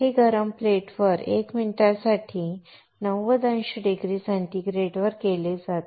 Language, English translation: Marathi, This is done at 90 degrees centigrade for 1 minute on a hot plate